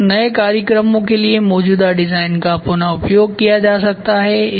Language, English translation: Hindi, So, the reuse of existing designed for new programs can be done